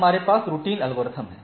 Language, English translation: Hindi, So, we have routing algorithms